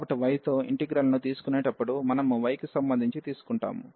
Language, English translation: Telugu, So, while taking the integral with respect to y, we will take so with respect to y